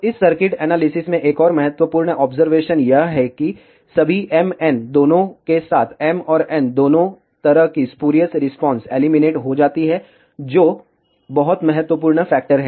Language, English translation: Hindi, So, another important observation in this circuit analysis is that, all the m, n, spurious responses with both m and n as even numbers are eliminated, which is the very important factor